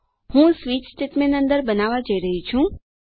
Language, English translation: Gujarati, Im going to create a switch statement inside